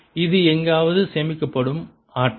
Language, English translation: Tamil, this is the energy which is stored somewhere